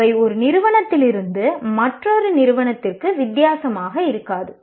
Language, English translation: Tamil, Though they will not be that different from one institution to another